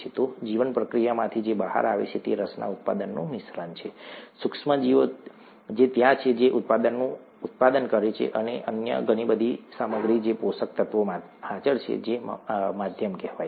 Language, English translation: Gujarati, So what comes out of the bioreactor is a mixture of the product of interest, the micro organism that is there which is producing the product and a lot of other material which is present in the nutrients, the medium as it is called, and so on